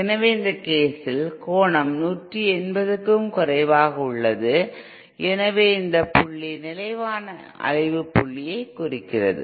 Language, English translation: Tamil, So in this case the angle is lesser than 180¡, therefore this point represents a stable oscillation point